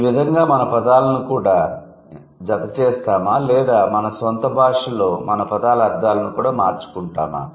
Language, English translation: Telugu, This is how we also add words or we also change the meanings of our words in our own first language